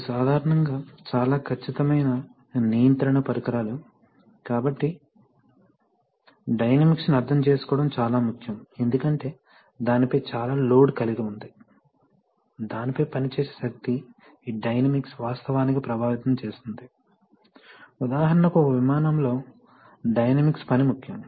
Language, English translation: Telugu, Because these are very precision control devices generally, so this, it is important to understand the dynamics because there is so much load acting on it, that so much force acting on it that this dynamics can actually affect, for example in an aircraft, the dynamics of the act is very important